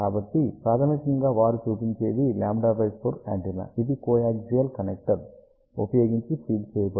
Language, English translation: Telugu, So, basically what they show this is a lambda by 4 antenna which is fed using a coaxial connector